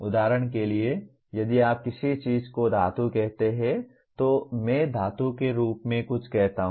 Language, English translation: Hindi, For example if you call something as a metal, I call something as a metal